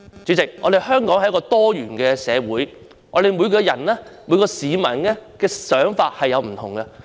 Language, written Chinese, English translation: Cantonese, 主席，香港是一個多元社會，每個市民的想法各有不同。, President Hong Kong is a pluralistic society in which individual members of the public have different views